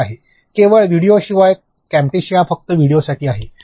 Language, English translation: Marathi, Other than videos only, Camtasia is there only for videos